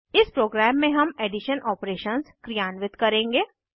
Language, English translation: Hindi, This will perform the addition operation